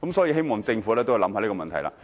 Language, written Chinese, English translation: Cantonese, 我希望政府會思考這個問題。, I hope the Government can consider the problem